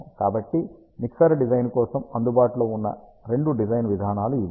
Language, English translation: Telugu, So, these are the two design approaches that are available for Mixer Design